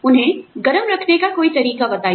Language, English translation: Hindi, Give them, some way to keep warm